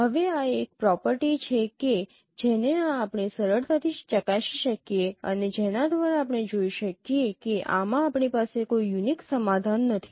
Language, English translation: Gujarati, Now this is a property which we can or this is a particular fact which we can easily verify and by which we can see that we do not have an unique solution in this case